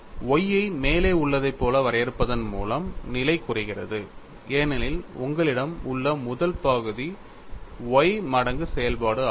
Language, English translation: Tamil, By defining Y as above, the condition reduces to because the first term what you have is y times the function comes